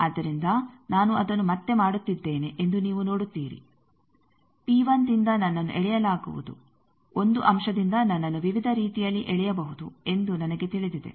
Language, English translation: Kannada, So, you see again I am doing that from P 1, I will be pulled i know that by 1 element I can be pulled in various ways